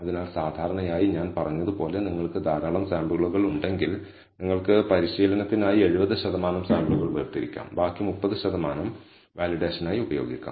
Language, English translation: Malayalam, So, typically as I said if you have a large number of samples, you can set apart 70 percent of the samples for training and the remaining 30 percent, we can use for validation